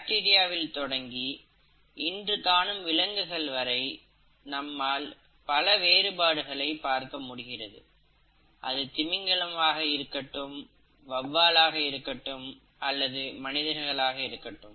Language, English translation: Tamil, So, there is diversity, starting all the way from bacteria to what you see among animals, whether it is the whales, the bats, or the human beings